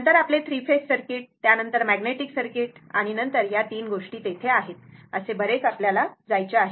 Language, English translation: Marathi, Then your 3 phase circuit, then magnetic circuit, then 3 things are there, the long way to go